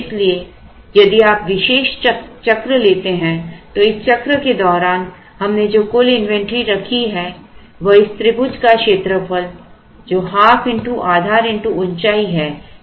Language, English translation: Hindi, So, if you take one particular cycle the total inventory that we have held during this cycle is the area of this triangle which is half into base into height, so half into Q into T